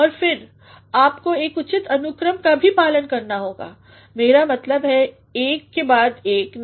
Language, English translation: Hindi, And then, you also have to follow a proper order, I mean one after another, no